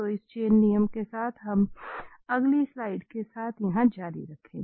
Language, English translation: Hindi, So with this chain rule, let us continue here with the next slide